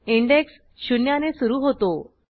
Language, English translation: Marathi, Index starts with zero